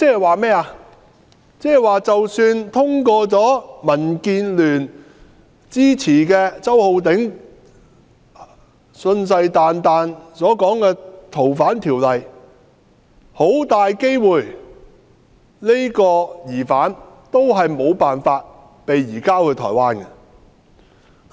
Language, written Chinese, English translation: Cantonese, 換言之，即使通過民建聯支持、周浩鼎議員信誓旦旦所說的《條例草案》，這個疑犯也很大機會無法被移交到台灣。, In other words even if the Bill which is supported by DAB and the pledge of Mr Holden CHOW is passed there is a high chance that the suspect cannot be surrendered to Taiwan